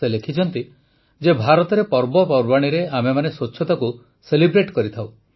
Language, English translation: Odia, She has written "We all celebrate cleanliness during festivals in India